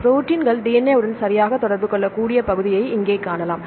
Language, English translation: Tamil, You can see here the region where the proteins can interact with the DNA right